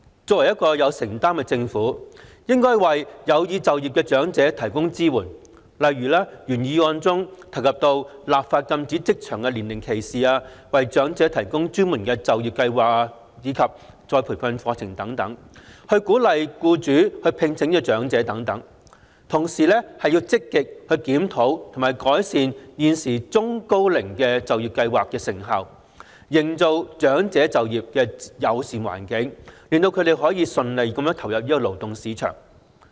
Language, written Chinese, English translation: Cantonese, 作為一個有承擔的政府，應該為有意就業的長者提供支援，例如原議案中提及的立法禁止職場年齡歧視、為長者提供專門的就業計劃及再培訓課程、鼓勵僱主聘請長者等，同時積極檢討及改善現時中高齡就業計劃的成效，營造長者就業的友善環境，令他們可以順利投入勞動市場。, As a government with commitment it should offer support to elderly persons who wish to work such as enacting legislation against age discrimination in the workplace providing designated employment programmes and retraining courses for the elderly and encouraging employers to employ the elderly as stated in the original motion while proactively reviewing and enhancing the effectiveness of the existing Employment Programme for the Elderly and Middle - aged and creating a friendly environment for elderly employment thereby facilitating their entry into the labour market